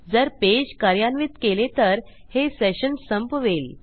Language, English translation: Marathi, If we run this page here, it will destroy our session